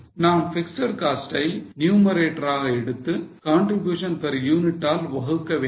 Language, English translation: Tamil, So, we take fixed costs in the numerator and divide it by contribution per unit